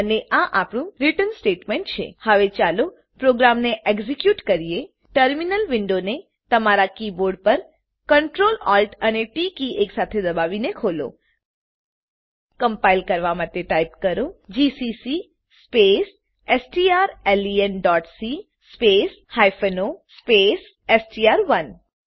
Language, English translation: Gujarati, And this is our return statement Now let us execute the program Open the terminal window by pressing Ctrl, Alt and T keys simultaneously on your keyboard To compile Type: gcc space strlen.c space o space str1